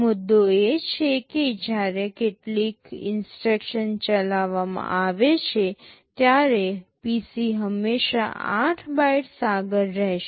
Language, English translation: Gujarati, The point is that when some instruction is executed the PC will always be 8 bytes ahead